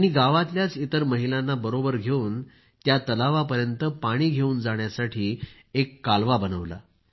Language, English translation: Marathi, She mobilized other women of the village itself and built a canal to bring water to the lake